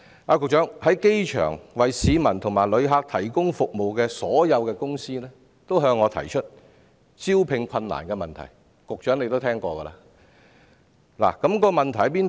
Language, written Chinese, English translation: Cantonese, 所有在機場為市民和旅客提供服務的公司均向我提出招聘困難的問題，局長或許有所聽聞。, All companies providing services for people and visitors at the airport have invariably told me about their recruitment difficulties and the Secretary may have also heard of their difficulties